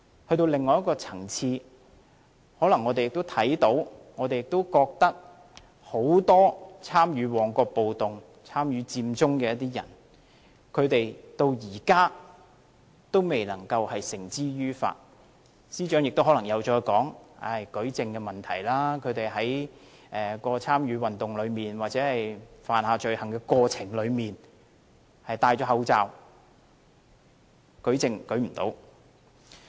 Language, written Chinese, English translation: Cantonese, 在另外一個層面，我們可能也看到很多參與旺角暴動和佔中的人至今仍未被繩之於法，司長可能又會說是舉證問題，因為他們在參與運動或犯下罪行的過程中戴了口罩，所以無法舉證。, From another perspective we may also have seen that many participants of the Mong Kok riot and Occupy Central are yet to be brought to justice . The Secretary may also quote the issue of proof because they wore masks in the course of the movement or committing the crimes rendering it impossible to adduce evidence